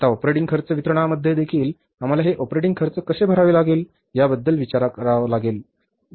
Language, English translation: Marathi, Now, in the operating expenses disbursements also, we have to think about how these operating expenses have to be paid for